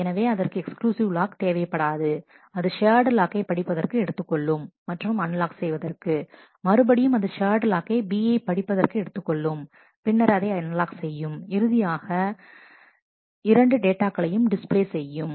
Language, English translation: Tamil, So, it does not need an exclusive lock it takes the shared lock reads and unlocks, it again takes a shared lock on B reads and unlocks and finally, displays the two data